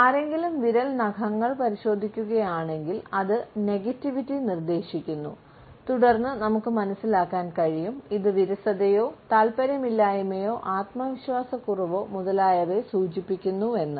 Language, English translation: Malayalam, If someone inspects the fingernails, it suggests negativity and then we can understand, it as a boredom or disinterest or lack of confidence, etcetera